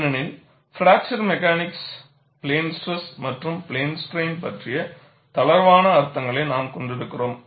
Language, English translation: Tamil, Because, in fracture mechanics, we tend to have looser definitions of plane stress and plane strain